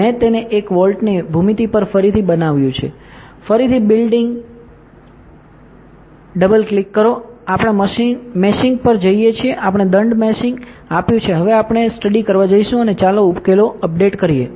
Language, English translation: Gujarati, I have made it one volt go to geometry again do a build all, we go to meshing we have given fine meshing now we will go to study and let us update the solution